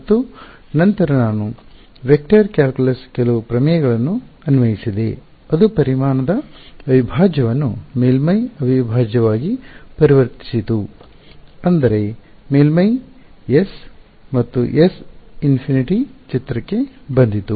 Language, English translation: Kannada, And, then I applied some theorems of vector calculus which converted a volume integral into a surface integral that is how the surface S and S infinity came into picture